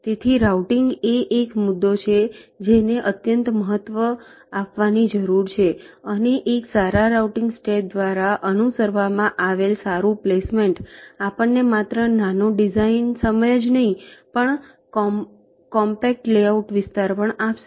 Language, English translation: Gujarati, so routing is an issue which needs to be given utmost importance, and a good placement followed by a good routing step will give us not only smaller design times but also compact layout area